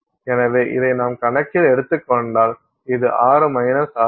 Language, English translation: Tamil, So, if you take this into account, this is 6 minus